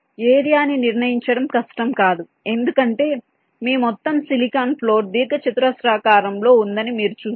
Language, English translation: Telugu, ok, determining area is not difficult because you see your total silicon floor is rectangular in nature